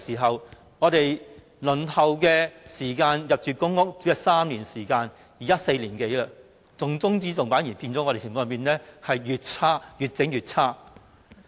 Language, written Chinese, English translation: Cantonese, 自他上台後，輪候入住公屋的時間已由3年變成4年多，重中之重的議題反而變得越來越差。, Since his taking office the waiting time for public housing has increased from three years to four years . This top priority problem has instead turned even more serious